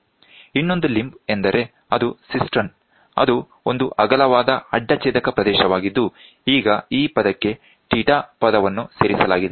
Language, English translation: Kannada, The other limb is a cistern, which is a wider cross section area, we now have this theta term is added to it